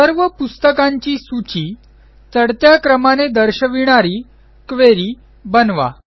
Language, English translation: Marathi, Create a query that will list all the Books in ascending order